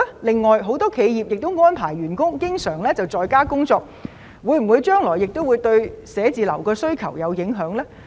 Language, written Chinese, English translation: Cantonese, 此外，很多企業經常安排員工在家工作，會否影響將來對寫字樓的需求呢？, As many enterprises often arrange employees to work from home will this affect the future demand for offices?